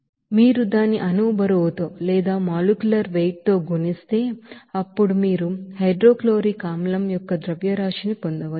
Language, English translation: Telugu, So if you multiply it by its molecular weight, then you can get what will be the mass of hydrochloric acid